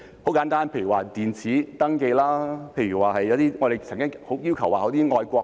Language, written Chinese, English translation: Cantonese, 簡單來說，例如電子登記，又例如我們曾經要求設立"愛國隊"......, A simple example is electronic registration . Another example is the setting up of patriots queues proposed by us before not patriots queues but caring queues